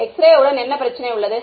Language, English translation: Tamil, What is the problem with X ray